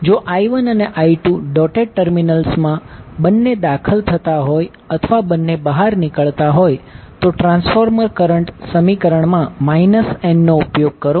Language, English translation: Gujarati, Now, if current I1 and I2 both enters into the dotted terminal or both leave the dotted terminal, we use minus n in the transformer current equation, otherwise we will use plus n